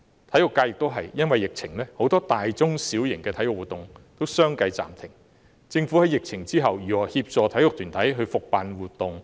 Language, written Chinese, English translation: Cantonese, 同樣地，體育界亦有很多大、中、小型體育活動亦由於疫情需要相繼暫停，政府在疫情後又會如何協助體育團體復辦活動？, Similarly in the sports sector many large - medium - and small - scale sports events need to be suspended one after another because of the epidemic . After the epidemic how will the Government help sports organizations to reorganize events?